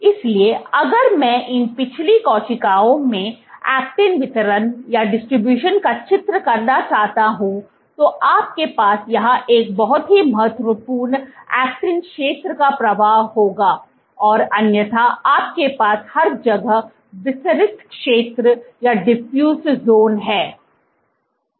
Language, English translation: Hindi, So, if I want to draw the actin distribution in these previous cells you would have a flow a very a prominent actin zone here and otherwise you have diffused zones everywhere